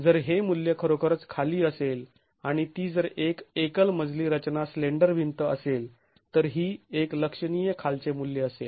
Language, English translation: Marathi, If this value is really low and if it is a single storage structure, slender wall this is going to be a significantly low value